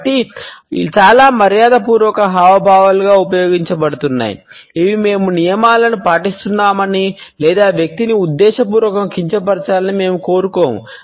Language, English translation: Telugu, So, many of used as polite gestures which demonstrate that we are following the rules or we do not want to deliberately offend the person